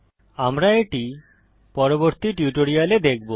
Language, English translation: Bengali, We shall see that in later tutorials